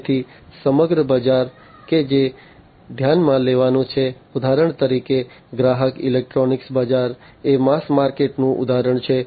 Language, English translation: Gujarati, So, the whole market that is going to be considered, for example the consumer electronics market is an example of a mass market